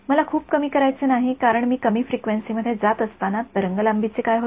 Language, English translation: Marathi, I do not want to go too low because as I go to lower frequencies what happens to the wave length